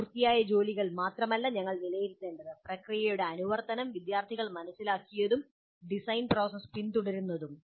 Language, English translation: Malayalam, We need to assess not only the finished work, but also the compliance to the process to what extent the students have understood and are following the design process